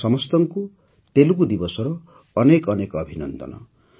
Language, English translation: Odia, Many many congratulations to all of you on Telugu Day